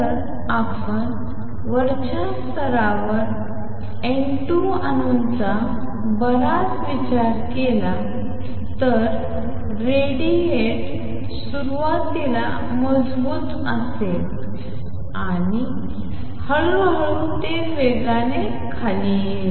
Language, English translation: Marathi, Is if you consider a lot of atoms N 2 in the upper level when the radiate the radiation initially is going to be strong and slowly it will come down exponentially